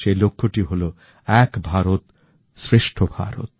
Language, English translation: Bengali, Ek Bharat, Shreshth Bharat